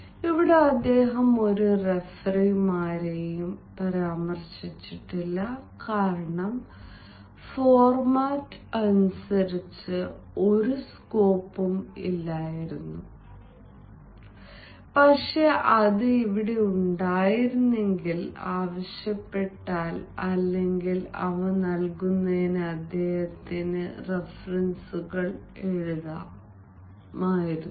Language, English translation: Malayalam, here he has not mentioned any referees because, as per the format ah, there was no scope ah, but then if it could have been there, he could have written references on ah